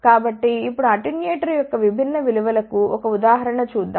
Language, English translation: Telugu, So, let us now see a example for different values of attenuator